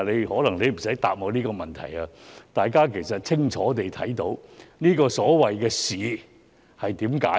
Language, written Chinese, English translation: Cantonese, 可能你也無需答覆我這項質詢，大家已清楚看到這個所謂的"試"是怎樣的。, Perhaps you do not need to give me an answer to this question . Members have seen clearly how this so - called examination is like